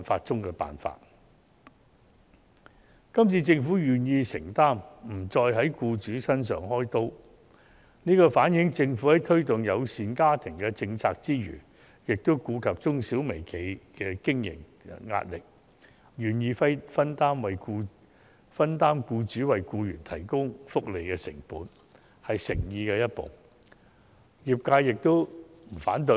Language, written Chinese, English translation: Cantonese, 這次，政府願意作出承擔，不在僱主身上"開刀"，反映出政府在推動家庭友善政策之餘，亦顧及中小型企業和微型企業的經營壓力，願意分擔僱主為僱員提供福利的成本，是踏出誠意的一步，業界對此並不反對。, This time around the Government is willing to show commitment instead of targeting on employers . This shows that in promoting family - friendly policies the Government has also taken account of the operational pressure on small medium and micro enterprises and is willing to share employers costs of offering fringe benefits to employees . This is a step of sincerity and the industry has no objection to this